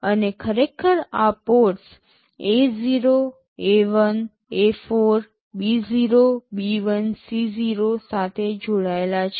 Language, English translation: Gujarati, And these are actually connected to these ports A0, A1, A4, B0, B1, C0